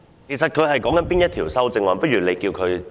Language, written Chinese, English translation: Cantonese, 其實他正就哪一項修正案發言？, Which amendment is he speaking on exactly?